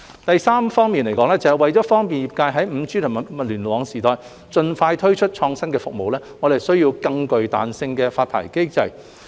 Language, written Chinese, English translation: Cantonese, 第三，為便利業界在 5G 及物聯網時代盡快推出創新服務，我們需要更具彈性的發牌機制。, Third in order to facilitate the expeditious introduction of innovative services by the industry in the 5G and IoT era we need a more flexible licensing regime